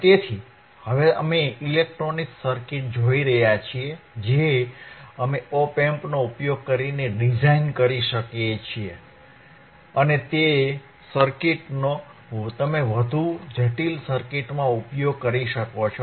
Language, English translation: Gujarati, So, now what we are looking at the electronic circuits that we can design using op amp and those circuits you can further use it in more complex circuits